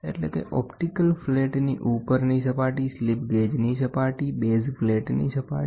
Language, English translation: Gujarati, Namely the surface of the optical flat, the upper surface of the slip gauge, the surface of the base plate